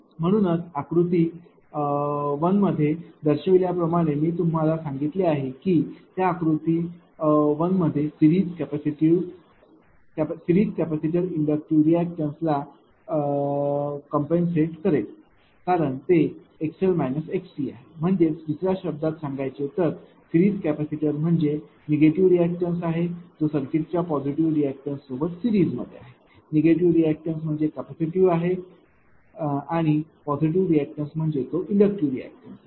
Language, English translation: Marathi, Now, therefore, as shown in figure one I told you that those figure one is series capacitor compensates for inductive reactant because it is x l minus x c right; that is why is compensating in other words a series capacitor is a negative your reactance in series with the circuit with positive react